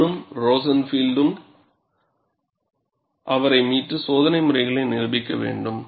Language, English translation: Tamil, Hahn and Rosenfield had to come to his rescue and demonstrated the experimental patterns